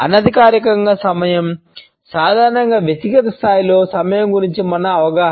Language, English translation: Telugu, Informal time is normally our understanding of time at a personal level